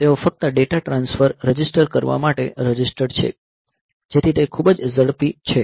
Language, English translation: Gujarati, So, they are simply register to register data transfer so that is very fast